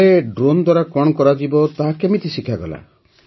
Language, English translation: Odia, Then what work would the drone do, how was that taught